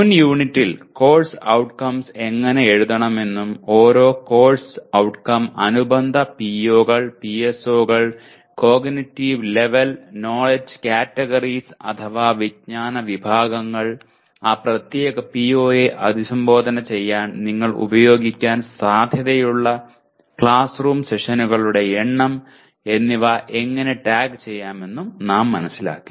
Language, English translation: Malayalam, In the previous unit we understood how to write course outcomes and tagging each course outcome with corresponding POs, PSOs, cognitive level, knowledge categories and number of classroom sessions you are likely to use to address that particular PO